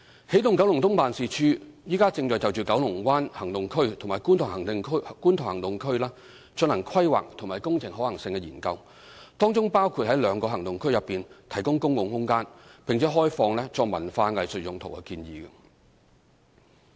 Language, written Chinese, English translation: Cantonese, 起動九龍東辦事處正就九龍灣行動區及觀塘行動區進行規劃及工程可行性研究，當中包括在兩個行動區內提供公共空間，並開放作文化藝術用途的建議。, EKEO is now working on the Planning and Engineering Study for the Development at Kowloon Bay Action Area―Feasibility Study and the Planning and Engineering Study on Kwun Tong Action Area―Feasibility Study . They include the proposal of providing public space which can be open for cultural and arts purposes in the two action areas